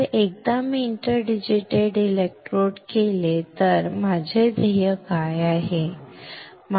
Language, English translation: Marathi, So, once I have interdigitated electrodes then what is my goal